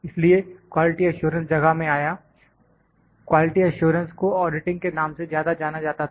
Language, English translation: Hindi, So, the quality assurance came into place so, quality assurance was more known as auditing